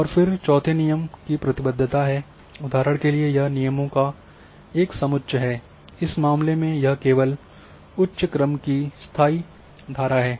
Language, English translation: Hindi, And then fourth are the rule constraints, condition a set of constraint for example, in this case only permanent stream of higher order